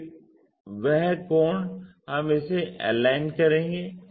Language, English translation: Hindi, So, that angle we will align it